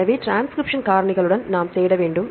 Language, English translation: Tamil, So, we have to search with transcription factors